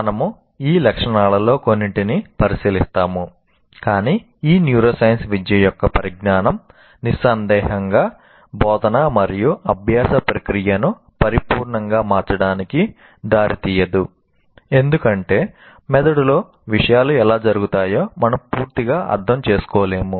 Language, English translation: Telugu, But the knowledge of this neuroscience, educational neuroscience is certainly not going to lead to making teaching and learning process a perfect one because we are far from fully understanding how things happen in the brain